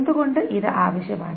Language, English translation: Malayalam, Why is this required